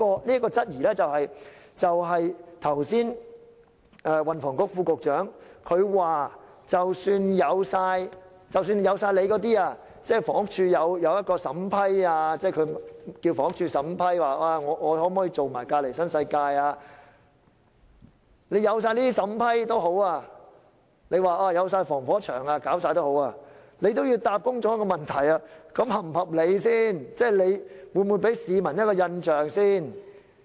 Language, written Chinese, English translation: Cantonese, 即使如運輸及房屋局副局長剛才所說，由房屋署審批奧雅納可否承接旁邊的新世界項目，有防火牆，政府也要回答公眾一個問題：這是否合理？會給市民甚麼印象？, Even if HD was there to act as a firewall in examining whether Arup was permitted to undertake the adjacent NWD project as indicated by the Under Secretary for Transport and Housing just now the Government has to consider whether it is reasonable and what impression does it give the public